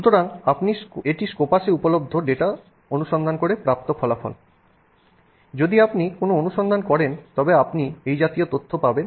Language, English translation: Bengali, So, using data that's available in Scopus if you do a search, you can get this kind of information